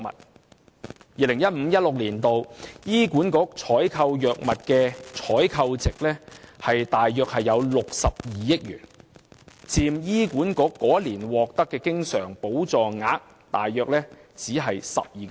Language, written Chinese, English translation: Cantonese, 事實上 ，2015-2016 年度醫管局採購藥物的採購值約為62億元，僅佔醫管局該年獲得的經常補助額約 12%。, In fact the expenditure on procurement of drugs by the Hospital Authority HA for 2015 - 2016 amounted to about 6.2 billion representing only 12 % HAs recurrent grant for the same year